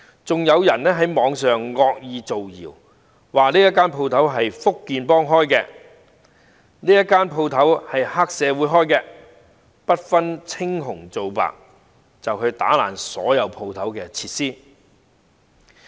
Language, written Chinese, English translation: Cantonese, 此外，有人在網上惡意造謠，指一些店鋪是福建幫經營的，也有一些是黑社會經營的，然後不分青紅皂白破壞店鋪內的所有設施。, Worse still some people maliciously started a rumour on the Internet claiming that some shops are operated by the Fujian gang and others are run by the triad and then the facilities in these shops were all indiscriminately destroyed